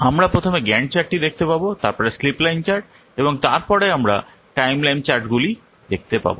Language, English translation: Bengali, We will see first Gant chart, then we will see slip line chart and then we will see the timeline charts